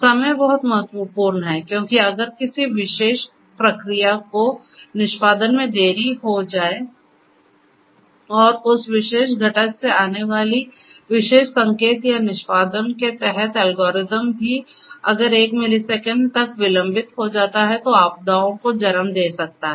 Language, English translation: Hindi, Timing is very important because if you know if the certain if a particular process gets delayed in execution and that particular signal coming from that particular routine or that algorithm under execution gets delayed by even a millisecond that might also lead to disasters